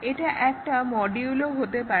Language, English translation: Bengali, It can be a module also